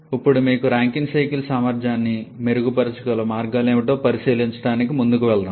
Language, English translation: Telugu, Now let us move on to check out what are the ways you can improve the efficiency of Rankine cycle